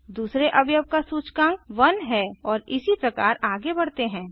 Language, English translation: Hindi, The index of the second element is 1 and so on